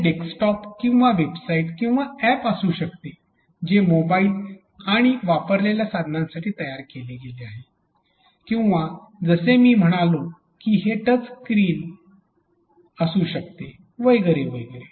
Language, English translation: Marathi, It could be desktop or a website or a app which is created for mobiles and handled devices or like I said kiosks which could be touch screen and so on and so forth